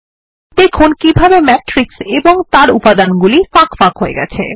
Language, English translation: Bengali, Notice how the matrices and their elements are well spaced out